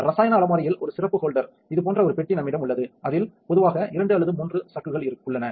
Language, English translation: Tamil, In a special holder in the chemical cupboard, we have a box looking like this it contains normally 2 or 3 chucks